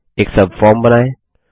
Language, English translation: Hindi, Setup a subform